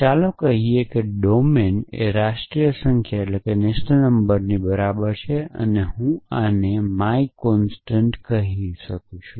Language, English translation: Gujarati, Let us say domain is equal to national numbers and I can say my constant